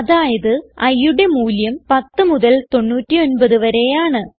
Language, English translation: Malayalam, So, i should have values from 10 to 99